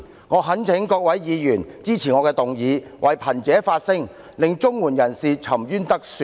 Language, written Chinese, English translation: Cantonese, 我懇請各位議員支持我的議案，為貧者發聲，讓綜援受助人沉冤得雪。, I implore all Members to support my motion in an effort to speak up for the poor and right the wrong done to CSSA recipients